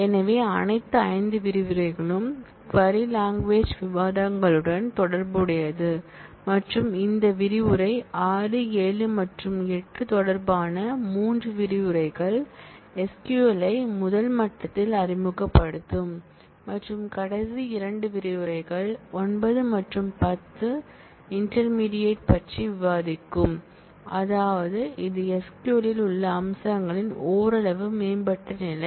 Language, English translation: Tamil, So, all the 5 modules will relate to discussions on query language and this module 6 7 and 8, the 3 modules will introduce SQL at a first level and the last 2 modules 8 and 9, I am sorry 9 and 10 will discuss about intermediate, that is somewhat advanced level of features in the SQL